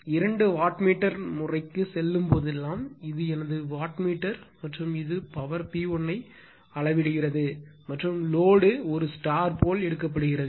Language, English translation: Tamil, So, this is my , this is my your what you call that, watt this is my wattmeter and it measures the power P 1 and, load is taken as a star say